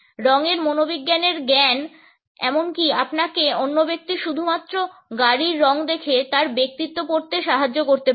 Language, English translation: Bengali, Knowledge of color psychology can even help you read another persons personality just by looking at the color of their car